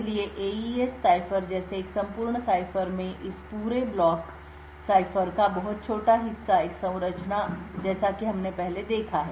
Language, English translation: Hindi, So, in a complete cipher such as an AES cipher a very small part of this entire block cipher is having a structure as we have seen before